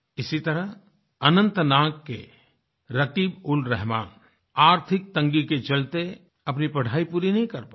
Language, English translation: Hindi, Similarly, RakibulRahman of Anantnag could not complete his studies due to financial constraints